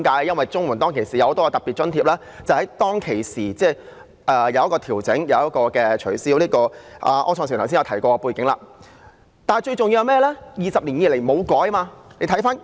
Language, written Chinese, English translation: Cantonese, 因為綜援的很多特別津貼在當時曾進行檢討，亦取消了一些項目，柯創盛議員剛才已說過有關的背景。, Because at that time a wide range of special grants were reviewed with the cancellation of some items under the CSSA Scheme . Mr Wilson OR has presented the background just now